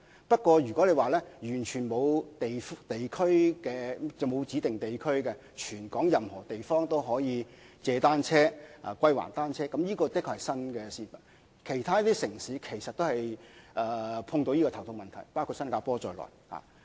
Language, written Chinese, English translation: Cantonese, 不過，完全沒有指定地區，在全港任何地方均可租借及歸還單車的服務，的確是相當新穎的做法，而其他城市其實也遇上這難題，包括新加坡。, However a rental service that does not require people to rent and return bicycles at designated locations but allows them to do so anywhere is very innovative . Other cities including Singapore also face the same difficult problem